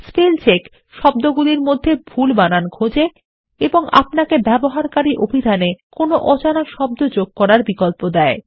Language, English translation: Bengali, Spellcheck looks for spelling mistakes in words and gives you the option of adding an unknown word to a user dictionary